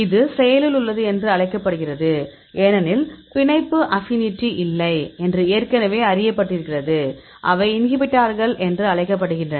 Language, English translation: Tamil, This are called actives because already known the do not binding affinity; so they known as inhibitors